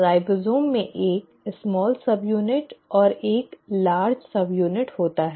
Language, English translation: Hindi, Ribosome has a small subunit and a large subunit